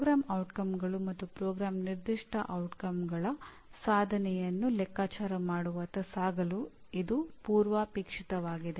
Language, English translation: Kannada, And that is the prerequisite to move towards computing the attainment of Program Outcomes and Program Specific Outcomes